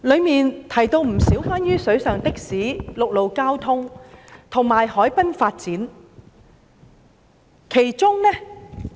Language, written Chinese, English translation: Cantonese, 當中提及不少關於"水上的士"、陸路交通，以及海濱發展的建議。, Many of the proposals are related to water taxi services land transport and waterfront development